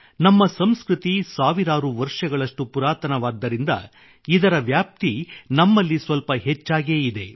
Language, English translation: Kannada, Since our culture is thousands of years old, the spread of this phenomenon is more evident here